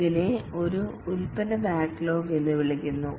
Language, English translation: Malayalam, This is called as a product backlog